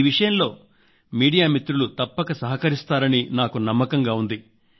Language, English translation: Telugu, I believe that media friends will definitely cooperate in this regard